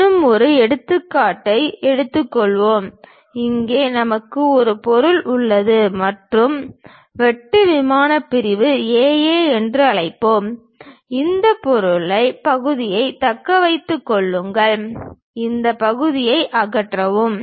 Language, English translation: Tamil, Let us take one more example, here we have an object and cut plane section let us call A A; retain this portion, remove this part